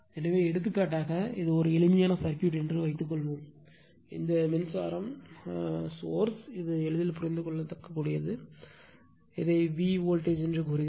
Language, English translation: Tamil, So, for example, suppose this is simple circuit, this current is current sources shown say it is i t for easy understanding, and voltage across v’s beyond this